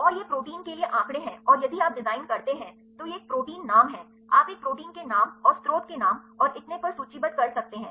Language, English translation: Hindi, And these are the statistics for the proteins and if you design, this is a protein names, you can list a protein names and the source names and so, on